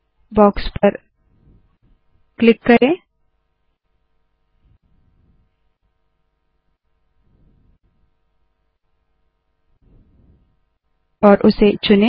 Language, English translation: Hindi, Click on the box and select it